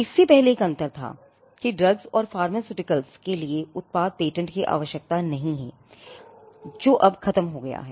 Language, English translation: Hindi, Earlier, there was a distinction that product patents need not be granted for drugs and pharmaceuticals, now that is gone